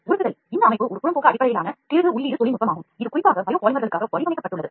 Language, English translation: Tamil, Melt extrusion is a process which is done this system is an extrusion based, screw feeding technology that is designed specifically for biopolymers